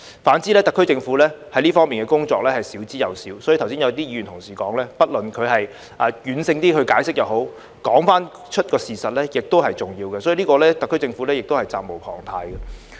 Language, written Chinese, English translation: Cantonese, 反之，特區政府在這方面的工作是少之又少，所以剛才有些議員同事說，即使軟性解釋也好，說出事實是重要的，特區政府就此是責無旁貸的。, On the contrary the SAR Government has done very little in this regard . That is why some Members said earlier that even giving soft explanations is desirable as it is important to tell the truth and the SAR Government is duty - bound to do so